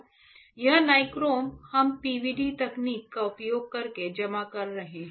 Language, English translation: Hindi, This nichrome, we are depositing using a PVD technique